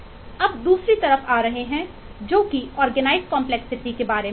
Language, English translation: Hindi, let us take a look into the organized complexity